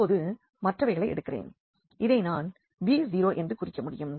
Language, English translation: Tamil, Now let me take the another ones which I can denote by this b 0